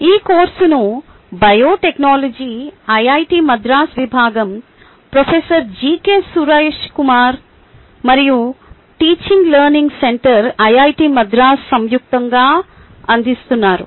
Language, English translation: Telugu, this course is jointly offered by professor gk suraish kumar ah, department of biotechnology, iit madras and teaching learning centre iit madras